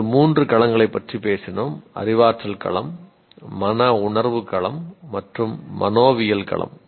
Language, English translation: Tamil, We talked about three domains, cognitive domain, affective domain, and psychomotor domain